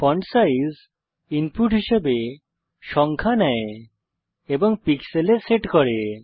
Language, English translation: Bengali, Fontsize takes number as input, set in pixels